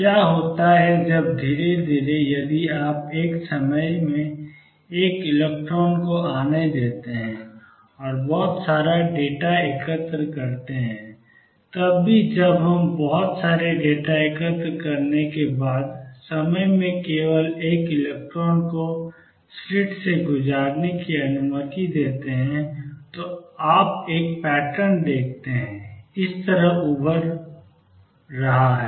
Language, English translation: Hindi, So, what happens when slowly, if you let one electron come at a time and collect a lot of data you even when only one electron is allow to pass through the slits at one time after we collect a lot of data, you see a pattern emerging like this